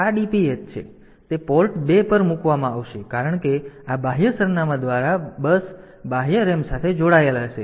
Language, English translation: Gujarati, So, that will be put onto Port 2 because through that this external address bus will be connected to the external RAM